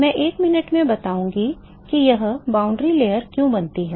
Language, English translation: Hindi, I will explain in a minute why this boundary layer is formed